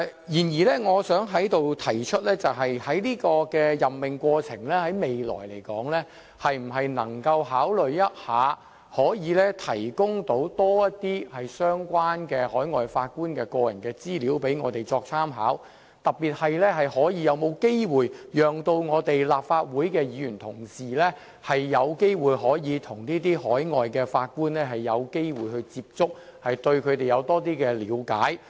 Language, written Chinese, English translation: Cantonese, 然而，我想在此提出，就未來的任命過程來說，可否考慮提供多些關於海外法官的個人資料供我們參考，特別是可否讓立法會議員有機會與這些海外法官接觸，以便對他們有多些了解？, Nevertheless here I would like to propose giving consideration to the provision of more personal information about the foreign Judges for our reference during the process of appointment in the future . In particular can Legislative Council Members be given an opportunity of making contact with these foreign Judges so as to learn more about them?